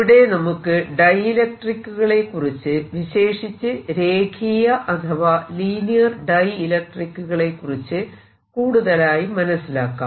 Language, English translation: Malayalam, we have now going to concentrate on something called the dielectrics and in particular linear dielectrics